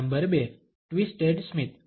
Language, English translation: Gujarati, Number 2, the twisted smile